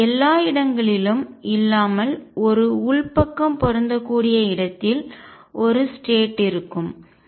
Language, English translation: Tamil, And then everywhere else wherever there is an interior matching there is going to be one state